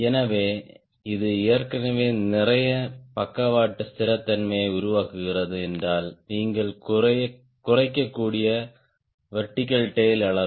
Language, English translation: Tamil, so if this is already producing lot of lateral stability, the size of the vertical tail you can reduce